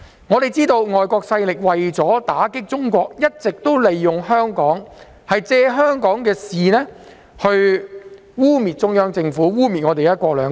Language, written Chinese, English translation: Cantonese, 眾所周知，外國勢力為了打擊中國，一直利用香港及借香港事務污衊中央政府和"一國兩制"。, As we all know foreign powers have always been making use of Hong Kong and meddling in our affairs to defame the Central Government and discredit one country two systems for the purpose of dealing a blow to China